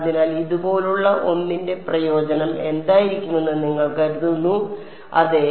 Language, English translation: Malayalam, So, what do you think might be the advantage of something like this yeah